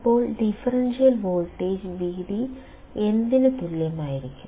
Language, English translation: Malayalam, So, the differential voltage Vd will be equal to what